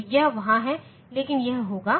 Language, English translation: Hindi, So, that is there, but it will be